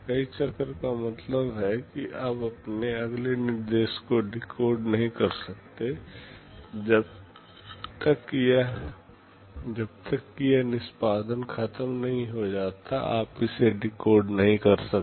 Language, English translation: Hindi, Multiple cycle means here you cannot decode this next instruction, unless this execute is over you cannot decode it